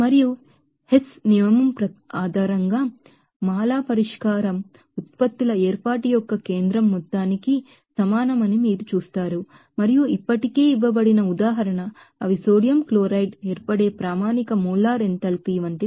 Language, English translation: Telugu, And based on Hess’ law you will see that mala interpret the solution is equal to the sum of the centerpiece of formation of products the act and that already given example, they are like standard molar enthalpy of formation of sodium chloride to be you know that 411